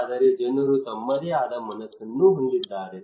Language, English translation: Kannada, But people have their own mind also